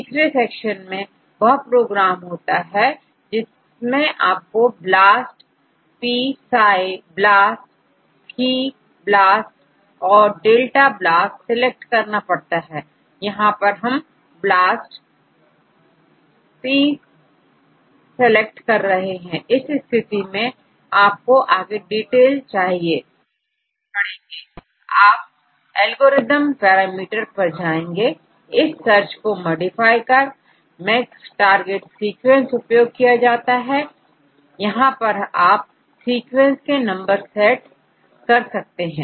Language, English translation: Hindi, The third section contains a program which you want to select BLAST p psi BLAST phi BLAST or delta BLAST, we will go with BLAST P, in case you will need further details you can go to the algorithm parameters to modify the search the alignment algorithm, max target sequence here you can set number of sequences you want to get